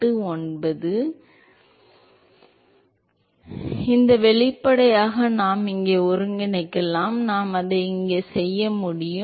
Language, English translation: Tamil, So, we can integrate this expression here, so the integral will be I can do it here